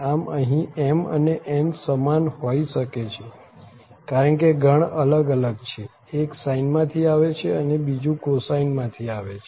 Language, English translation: Gujarati, So, here m and n may be the same because the family is different, one is coming from sine another one is coming from cosine